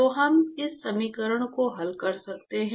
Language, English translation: Hindi, So, we can solve this equation